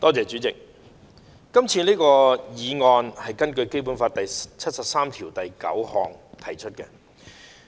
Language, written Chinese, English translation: Cantonese, 主席，這項議案是根據《基本法》第七十三條第九項提出的。, President this motion is proposed under Article 739 of the Basic Law